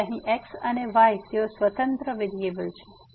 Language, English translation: Gujarati, So, here x and y they are the independent variable